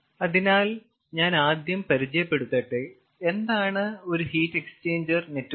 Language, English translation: Malayalam, so let me first introduce what is a heat exchanger network